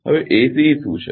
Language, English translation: Gujarati, Now, what is ACE